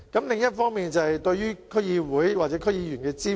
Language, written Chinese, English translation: Cantonese, 另一方面是對區議會或區議員的支援。, Another issue is the support for DCs or DC members